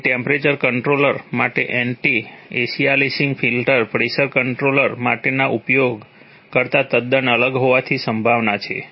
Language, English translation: Gujarati, So the anti aliasing filter for a temperature controller is likely to be quite different from that use for a pressure controller right